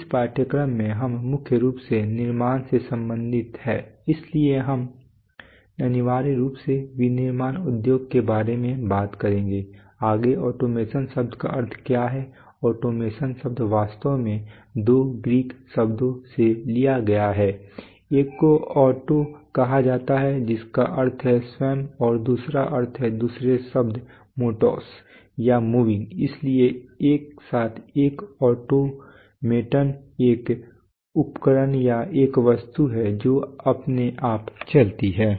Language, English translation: Hindi, In this course, we are primarily concerned with manufacture so we will essentially be talking about manufacturing industries right, next is what is the meaning of the term automation the term automation is actually derived from two Greek words one is called Auto which means self, and another means another is the word Matos or moving, so together an automaton is a device or an object which moves by itself